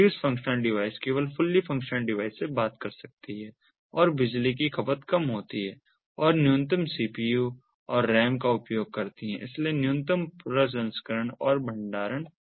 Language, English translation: Hindi, the reduced functional devices can only talk to a fully functional device, has lower power consumption and uses minimal cpu and ram, so minimal processing and storage